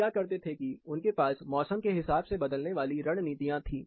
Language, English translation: Hindi, What people used to do, simple thing, they had seasonally varying strategies